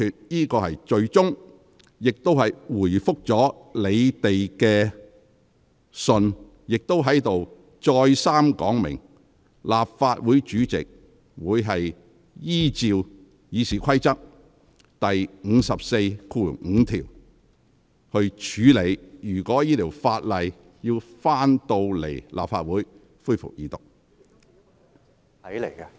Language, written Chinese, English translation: Cantonese, 我已作出最終裁決，亦回覆了你們的來信，並在此再三說明，立法會主席會按照《議事規則》第545條處理有關《條例草案》在立法會恢復二讀辯論的要求。, I have made the final ruling and replied to your letter . In addition I have repeatedly indicated here that the President of the Legislative Council will process the request for resumption of the Second Reading debate in the Legislative Council in accordance with RoP 545